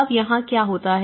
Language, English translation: Hindi, Now, what happens here